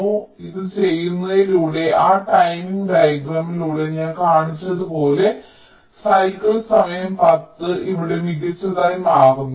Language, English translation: Malayalam, so by doing this, as i have shown through that ah timing diagram, the cycle time becomes ten here